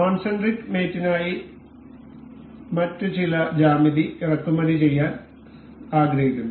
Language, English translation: Malayalam, So, for concentric mate I would like to import some other geometry